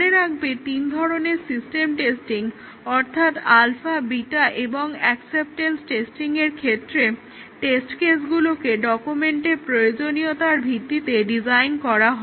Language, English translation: Bengali, And remember that in all the three types of system testing alpha testing, beta testing and acceptance testing, the test cases are designed based on the requirements document